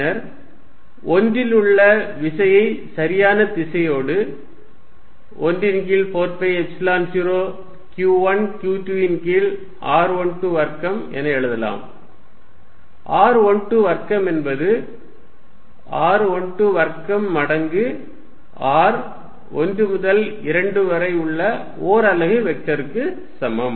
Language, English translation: Tamil, Then, the force on 1 with proper direction can be written as 1 over 4 pi Epsilon 0 q 1 q 2 over r 1 2 square, r 1 2 square is the same as r 2 1 square times r 1 to 2 unit vector